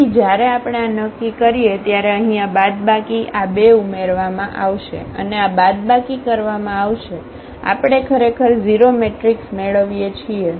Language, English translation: Gujarati, So, when we when we determine this one so, here this minus so, these two will be added and that this will be subtracted; we are getting actually 0 matrix